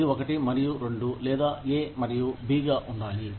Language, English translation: Telugu, It should be, either one and two, or, a and b